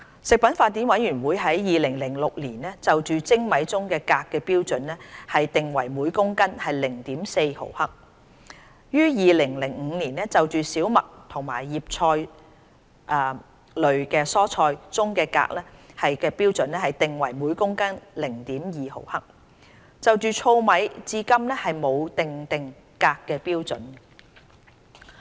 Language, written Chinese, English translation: Cantonese, 食品法典委員會於2006年就精米中鎘含量的標準定為每公斤 0.4 毫克，於年就小麥和葉菜類蔬菜中鎘含量的標準定為每公斤 0.2 毫克，就糙米至今沒有訂定鎘含量的標準。, Codex set the standard for cadmium content in polished rice at 0.4 mgkg in 2006 and that in wheat and leafy vegetables at 0.2 mgkg in 2005 . To date no standard has been established for cadmium content in husked rice